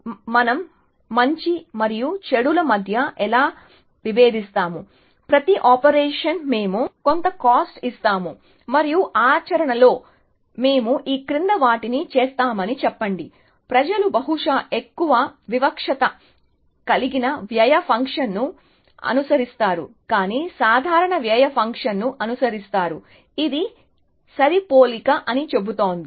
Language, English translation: Telugu, So, how do we differentiate between good and bad, we give some cost to every operation, and let us say we do the following in practice, people follow probably more discriminative cost function, but will follow simple cost function, which says that matching